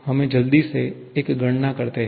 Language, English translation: Hindi, Let us quickly do one calculation